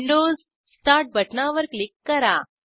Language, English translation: Marathi, Click on the Windows start button